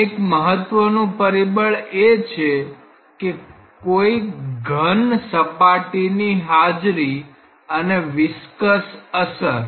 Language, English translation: Gujarati, One of the important factors is presence of a solid boundary and viscous effects